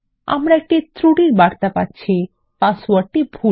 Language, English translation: Bengali, We get an error message which says that the password is incorrect